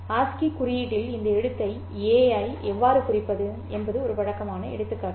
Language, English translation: Tamil, A familiar example is how do I represent this letter A in ASCII code